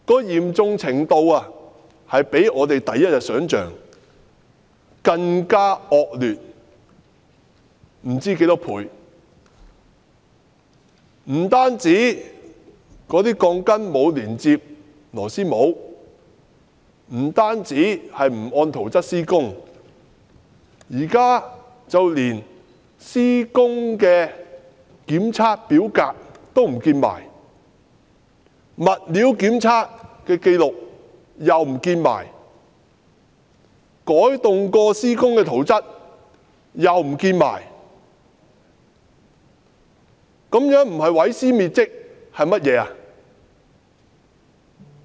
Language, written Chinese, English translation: Cantonese, 嚴重程度比我們第一天想象的還要惡劣多少倍，不單鋼筋沒有連接螺絲帽，不單沒有按圖則施工，現在連施工檢測表格、物料檢測紀錄和改動後的施工圖則也統統遺失，這不是毀屍滅跡是甚麼？, It is way more serious than what we imagined on day one . Not only were the rebars not connected with the couplers and the works not carried in accordance with the plans . Now even the Request for Inspection and Survey Checks RISC forms materials testing records and altered works plans have gone missing